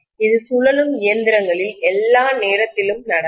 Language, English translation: Tamil, This happens all the time in rotating machines